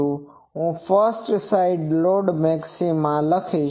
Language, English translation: Gujarati, So, I will write first side lobe maxima